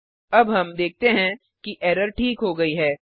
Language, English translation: Hindi, Now we see that the error is resolved